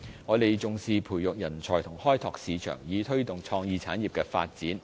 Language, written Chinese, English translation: Cantonese, 我們重視培育人才和開拓市場，以推動創意產業的發展。, We value the importance of talents and market development in promoting the development of the creative industries